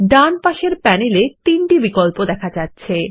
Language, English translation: Bengali, On the right panel, we see three options